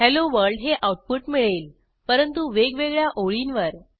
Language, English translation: Marathi, We get the output Hello World, but on separate lines